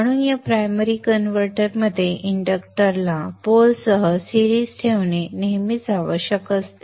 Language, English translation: Marathi, So in this primary converters it is always required that the inductor is placed in series with the pole